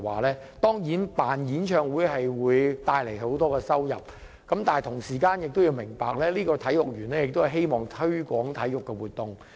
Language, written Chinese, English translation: Cantonese, 雖然舉辦演唱會會帶來很多收入，但同時也要明白，體育園是希望推廣體育活動。, Holding concerts will certainly bring in a lot of cash but the Sports Park is supposed to be used on promoting sports